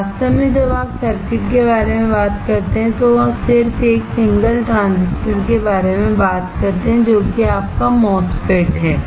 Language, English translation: Hindi, In fact, when you talk about circuits just talk about 1 single transistor, which is your MOSFETs